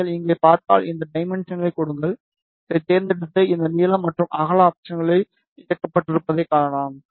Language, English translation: Tamil, If you see here, just give his dimensions, and you select this you can see this length and width options are enabled